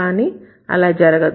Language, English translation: Telugu, That doesn't work